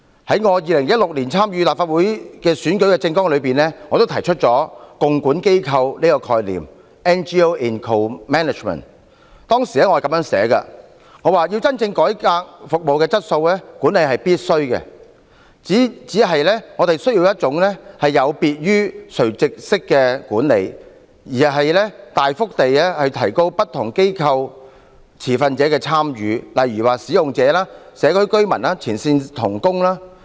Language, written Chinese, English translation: Cantonese, 在我2016年參選立法會的選舉政綱中，我提出了共管機構的概念，當時我是這樣寫的：要真正改善服務的質素，管理是必須及不必然是惡的，只是我們需要一種有別於垂直式的管理，而是大幅地提高不同機構持份者的參與，例如使用者、社區居民及前線同工。, In my manifesto for the 2016 Legislative Council Election I proposed the concept of NGO in co - management . I then wrote to truly improve service quality management is mandatory and not necessarily evil only that we need a style of management that is different from vertical management and we should significantly enhance the participation of stakeholders of various organizations such as users local residents and frontline co - workers